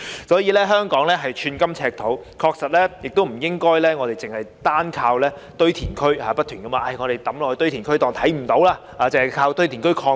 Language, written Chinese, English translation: Cantonese, 所以，香港寸金尺土，確實不應該單靠堆填區，把廢物不斷地丟進堆填區當作看不見，又或單靠堆填區擴建。, Therefore given the scarcity of land in Hong Kong indeed we should not rely solely on landfills and keep dumping waste at landfills as if the waste will vanish nor should we rely solely on landfill extensions